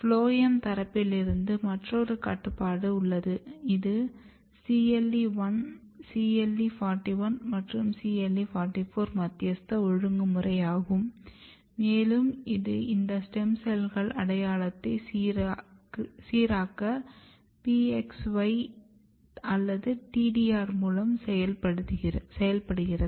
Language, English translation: Tamil, There is another regulation from the phloem sides which is CLE 1 CLE 41 and CLE 44 mediated regulation and it is working through a PXY/ TDR to regulate this stem cells identity